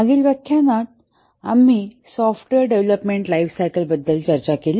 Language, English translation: Marathi, In the last lecture we discussed about the software development lifecycle